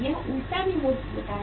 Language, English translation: Hindi, It happens reverse also